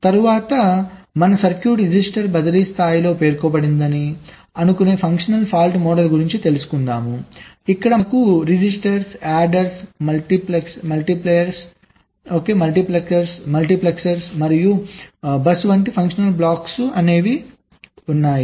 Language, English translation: Telugu, next let us come to functional fault model, where you assume that our circuit is specified at the register transfer level, where we have functional blocks like registers, adder, multipliers, multiplexers, bus and so on